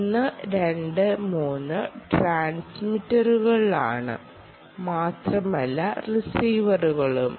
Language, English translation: Malayalam, remember, one, two, three are transmitters but also receivers